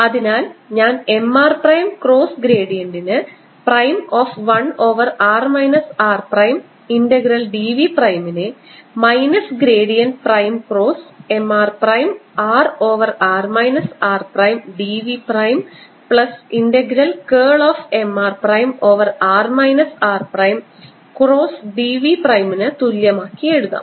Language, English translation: Malayalam, prime of one over r minus r prime integral d v prime is equal to, which is minus gradient prime: cross m r prime over r minus r prime d v prime plus integral curl of m r prime over r minus r prime d v prime as equal to minus n prime cross m r prime over r minus r prime d s prime